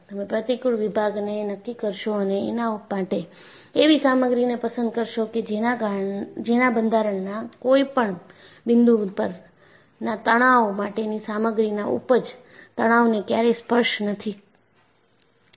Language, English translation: Gujarati, You would determine the cross section and choose a material such that, the stress at any point in the structure does not touch the yield stress of the material